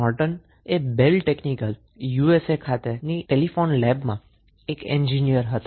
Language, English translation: Gujarati, So, Norton was an Engineer in the Bell Technical at Telephone Lab of USA